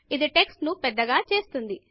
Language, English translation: Telugu, This will make the text bigger